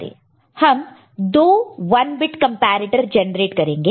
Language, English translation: Hindi, We generate two 1 bit comparator, we use two 1 bit comparator, right